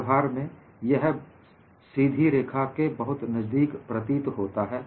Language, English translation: Hindi, In practice, this appears to be very close to a straight line